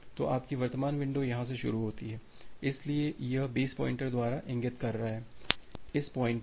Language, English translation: Hindi, So, your current window starts from here so, this is pointing by the base pointer so, base pointer